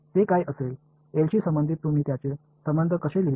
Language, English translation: Marathi, What would it be, how would you write its relation with respect to L